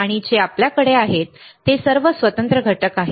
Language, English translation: Marathi, And what we have is, we have all the discrete components